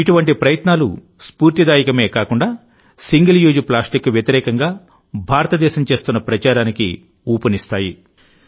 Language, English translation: Telugu, Such efforts are not only inspiring, but also lend momentum to India's campaign against single use plastic